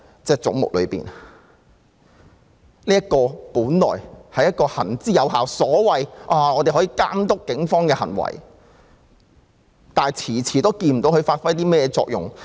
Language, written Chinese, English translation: Cantonese, 這本是一個行之有效、負責監督警方行為的機構，但卻遲遲看不到它發揮了甚麼作用。, Among the various heads is the Independent Police Complaints Council which should have been an effective body that oversees the conduct of the Police Force but it has been slow to show us if it has played its role well